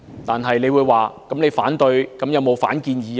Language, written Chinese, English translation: Cantonese, 然而，你會問，我反對之餘，有否反建議？, Nevertheless you may ask whether I have any counter - proposal while voicing objection to it